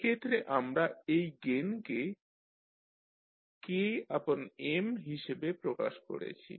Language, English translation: Bengali, So like in this case we have represented this gain as K by M